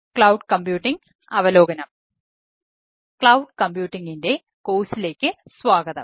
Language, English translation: Malayalam, ah, welcome to the course on cloud computing